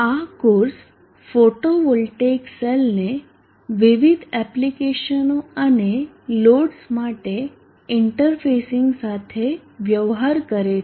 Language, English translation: Gujarati, This course deals with interfacing the photovoltaic cells to applications and loads